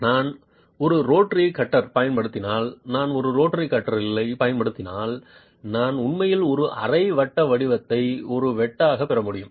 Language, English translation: Tamil, If I use a rotary cutter, if I use a rotary drill then I can actually get a semicircular shape as a cut